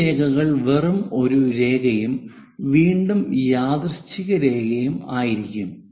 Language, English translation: Malayalam, These line will be just a line and again coincidental line